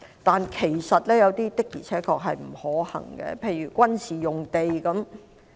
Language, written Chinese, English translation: Cantonese, 但是，有些的確並不可行，例如軍事用地。, However some are indeed impracticable . The use of military sites is one example